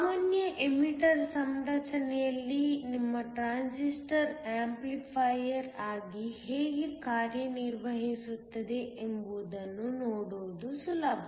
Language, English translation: Kannada, In a common emitter configuration, it is easy to see how your transistor acts as an amplifier